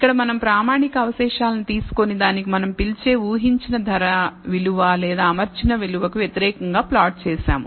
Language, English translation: Telugu, Here we have taken the standardized residuals and plotted it against the, what is called the predicted price value or the fitted value